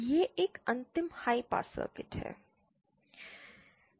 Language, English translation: Hindi, This is a final high pass circuit